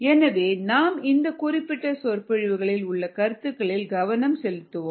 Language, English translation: Tamil, um, so let's ah just focus on the concepts in this particular lecture